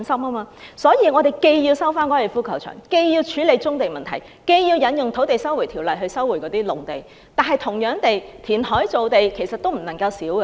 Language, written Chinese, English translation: Cantonese, 因此，我們要收回粉嶺高球場，處理棕地問題，引用《收回土地條例》收回農地，同時也要填海造地。, Therefore we have to resume the Golf Course deal with problems concerning brownfield sites invoke the Land Resumption Ordinance to resume agricultural lands and at the same time we have to create land by reclamation